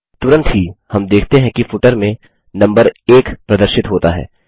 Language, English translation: Hindi, Immediately, we see that the number 1 is displayed in the footer